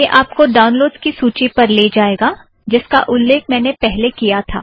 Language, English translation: Hindi, It will take you to the list of downloads as I mentioned earlier